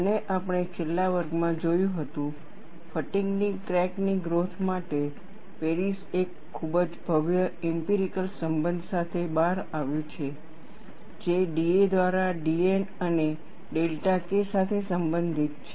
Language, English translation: Gujarati, And we had looked at, in the last class, for the growth of a fatigue crack, Paris came out with a very elegant empirical relation, relating d a by d N and delta k